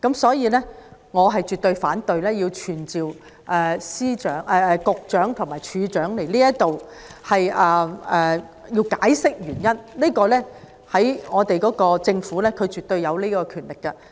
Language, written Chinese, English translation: Cantonese, 故此，我絕對反對傳召保安局局長和入境事務處處長到本會解釋有關決定的原因，因為政府絕對有權力作出該項決定。, Therefore I absolutely oppose summoning the Secretary for Security and the Director of Immigration to attend before this Council to explain the reason for the decision in question as the Government absolutely has the power to make the decision